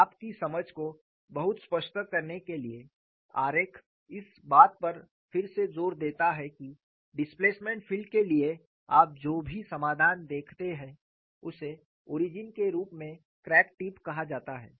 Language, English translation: Hindi, In order to make your understanding very clear, the diagram re emphasizes that whatever the solution you see for the displacement field is referred to crack tip as the origin